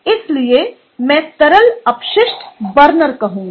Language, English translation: Hindi, so i would say liquid waste burner